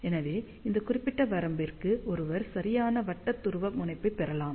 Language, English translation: Tamil, So, hence for this particular range one can get decent circular polarization